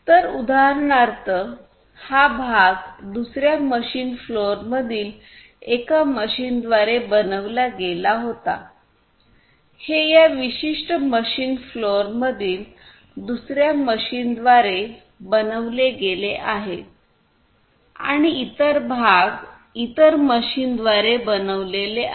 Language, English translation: Marathi, So, for example, this part was made by one of the machines in another machine floor this is made by another machine in this particular machine floor and there are other parts that are made by other machines